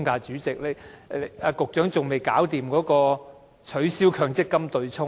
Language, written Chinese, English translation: Cantonese, 主席，局長至今仍然未能取消強積金對沖安排。, Chairman the Secretary has not yet been able to abolish the MPF offsetting arrangement